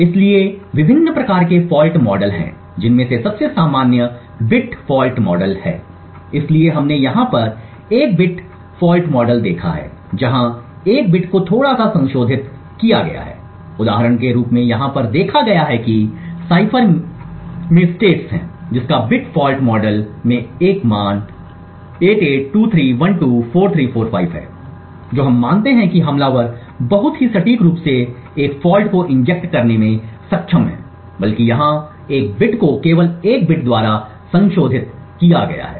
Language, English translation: Hindi, So there are various different types of fault models the most common one is the bit fault model so we have seen a bit fault model over here where exactly one single bit has been modified a bit fault model as an example is seen over here you have a state in the cipher which has a value 8823124345 in the bit fault model we assume that the attacker is very precisely be able to inject a fault rather one bit over here as just been modified by a single bit